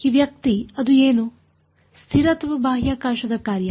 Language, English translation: Kannada, This guy was what was it constant or a function of space